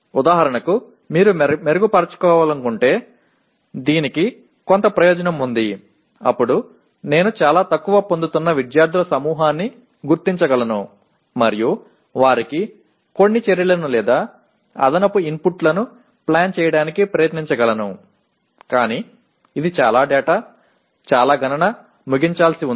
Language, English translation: Telugu, This has certain advantage of for example if you want to improve then I can identify the group of students who are getting very much less and try to plan some action at or rather additional inputs to them but this is a lot of data, lot of computation to be done